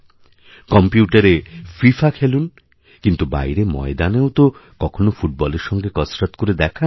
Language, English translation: Bengali, Play FIFA on the computer, but sometimes show your skills with the football out in the field